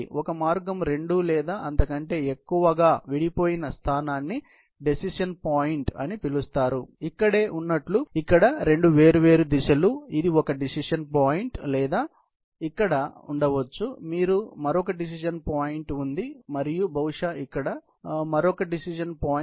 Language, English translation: Telugu, The location, where a path splits into two or more, then two separate directions called a decision point, like right about here, is a decision point or may be here, you have another decision point and probably here, another decision point; wherever, there is a splitting up into two or more tracks